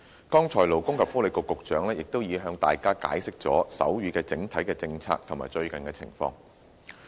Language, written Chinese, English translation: Cantonese, 剛才勞工及福利局局長亦已向大家解釋了手語的整體政策及最近情況。, The Secretary for Labour and Welfare has also explained to us just now the overall policy on sign language and the latest position